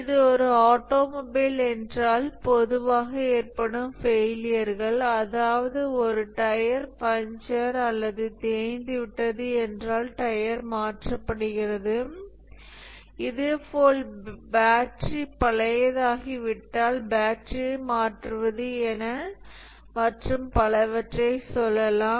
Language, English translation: Tamil, If it is a automobile, the failures that typically occur are, let's say, the tire punctured, the tire own out, replace the tire, the battery become old, replace the battery, and so on